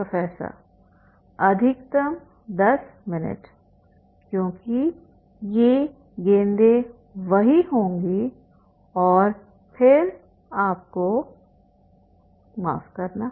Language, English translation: Hindi, Maximum 10 minutes because these balls will be there and then you have to reach, sorry